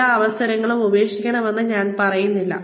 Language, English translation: Malayalam, I am not saying, let go of, all the opportunities